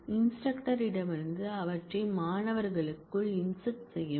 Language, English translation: Tamil, From the instructor and insert them into the students